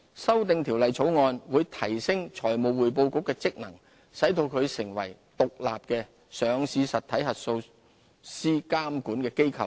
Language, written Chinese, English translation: Cantonese, 修訂條例草案會提升財務匯報局的職能，使其成為獨立的上市實體核數師監管機構。, The relevant amendment bill will strengthen the functions of the Financial Reporting Council FRC enabling FRC to become an independent oversight body of listed entity auditors